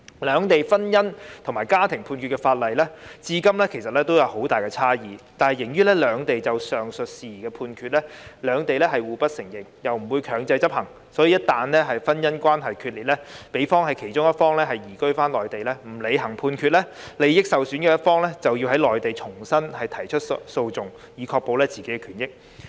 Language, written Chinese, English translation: Cantonese, 兩地有關婚姻與家庭判決的法律至今仍有很大差異，而由於兩地就上述事宜作出的判決，彼此互不承認，亦不會強制執行，所以，夫婦一旦婚姻關係決裂，如果其中一方移居內地不履行判決，利益受損的一方就要在內地重新提出訴訟，以確保自己的權益。, Up till now there are still great differences in the laws of the two places in respect of judgments in matrimonial and family cases . Since there is no reciprocal recognition and enforcement of judgments in the aforesaid matters in case of marital breakdown if a party migrates to the Mainland and fails to comply with the Hong Kong judgment the other party whose interests are jeopardized has to re - litigate the matter in the Mainland to protect hisher interests